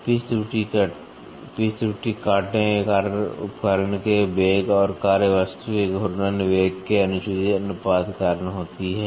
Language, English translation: Hindi, The pitch error are due to improper ratios of cutting tool velocity to the rotating velocity of the work piece